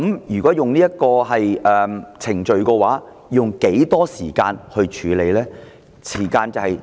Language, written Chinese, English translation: Cantonese, 如果使用這個程序的話，要用多少時間處理呢？, If this procedure is adopted how long will it take to handle the case?